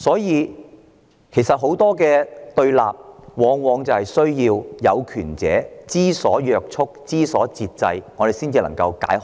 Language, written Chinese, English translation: Cantonese, 因此，解決對立往往需要當權者知所約束、知所節制，這樣死結才能解開。, Therefore very often confrontation can only be eased when the authorities are willing to exercise self - restraint . That is how we can break a deadlock